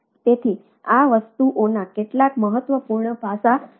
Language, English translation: Gujarati, so that is one of the aspects of the thing